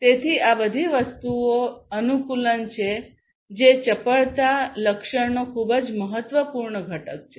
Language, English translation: Gujarati, Adaptation is a very important component of the agility attribute